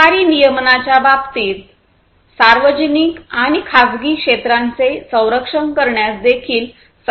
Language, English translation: Marathi, In terms of government regulation, it is also required to be able to protect the public and the private sectors